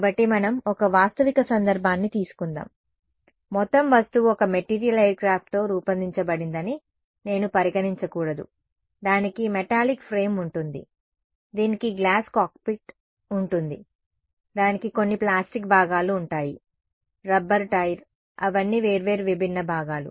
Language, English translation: Telugu, So, let us take a realistic case where, I should not consider the entire object to be made up of one material right aircraft it will it will have a metallic frame, it will have a glass cockpit, it will have a some plastic components, the rubber tire, all of them they are different different components